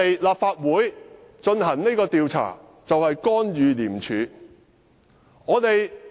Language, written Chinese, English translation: Cantonese, 立法會進行這項調查，是否干預廉署？, Is an investigation to be conducted by the Legislative Council interfering with ICAC?